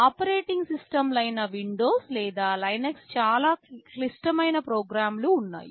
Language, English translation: Telugu, There is an operating system like Windows or Linux, they are fairly complicated program